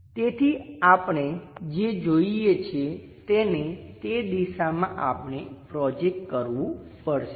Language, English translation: Gujarati, So, what we have to visualize is, in that direction we have to really project